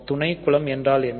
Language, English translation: Tamil, So, what is the subgroup